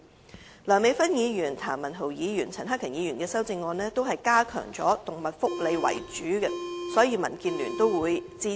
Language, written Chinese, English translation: Cantonese, 至於梁美芬議員、譚文豪議員和陳克勤議員的修正案，全部均以加強動物福利為主，所以民建聯都會予以支持。, For the amendments proposed by Dr Priscilla LEUNG Mr Jeremy TAM and Mr CHAN Hak - kan as they mainly seek to enhance animal welfare DAB will support all of them